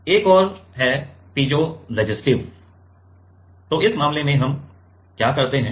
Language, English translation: Hindi, Another is piezoresistive so, in this case what we do